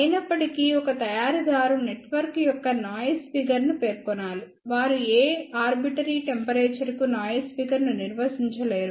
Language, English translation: Telugu, However, a manufacturer has to specify the noise figure of a network, they cannot define noise figure for any arbitrary temperature